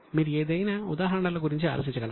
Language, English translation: Telugu, Can you think of any examples